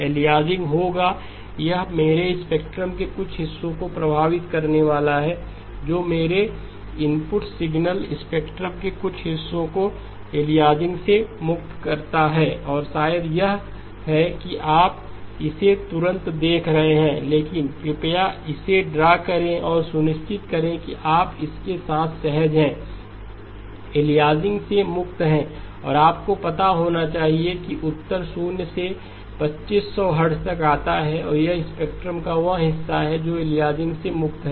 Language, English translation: Hindi, Aliasing will occur, it is going to affect some portions of my spectrum which portions of my input signal spectrum is free of aliasing okay and maybe it is you are seeing it right away but please do draw it and make sure that you are comfortable with it, is free of aliasing and you should find that the answer comes out to be zero to 2500 hertz is the portion of the spectrum that is free of aliasing